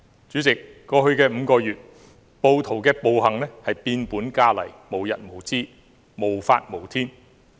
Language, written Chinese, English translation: Cantonese, 主席，在過去5個月，暴徒的暴行變本加厲、無日無之、無法無天。, President the brutality of the rioters in the past five months is escalating endless and shows no regard for the law and morality